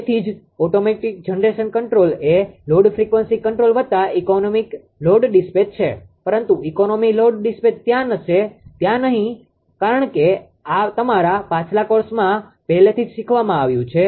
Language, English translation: Gujarati, So, that is why automatic generation control is equal to load frequency control plus your economic load dispatch, but economy load dispatch will not be there because already taught in this your previous course